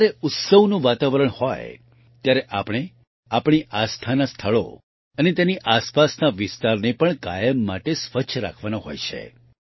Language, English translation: Gujarati, And during the festive atmosphere, we have to keep holy places and their vicinity clean; albeit for all times